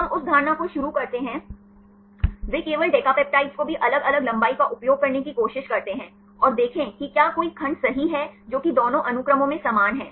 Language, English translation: Hindi, We start that assumption, they try to use only decapeptides also the different lengths, and see whether any segments right which are same in both that sequences